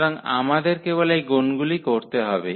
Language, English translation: Bengali, So, we have to only do these multiplications